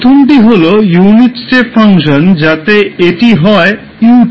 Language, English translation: Bengali, So, first is let us say unit step function so that is ut